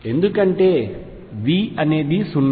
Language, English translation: Telugu, What if V is not 0